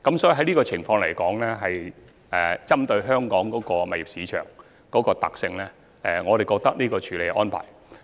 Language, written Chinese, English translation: Cantonese, 在這個情況下，針對香港物業市場的特性，我認為這個處理安排實屬恰當。, Under such circumstances I think this arrangement is appropriate in consideration of the characteristics of Hong Kongs property market